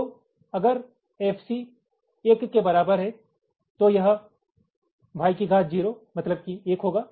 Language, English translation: Hindi, so if f c equal to one, this will be y to the power zero, one